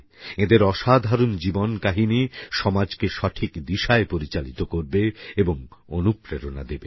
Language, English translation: Bengali, The extraordinary stories of their lives, will inspire the society in the true spirit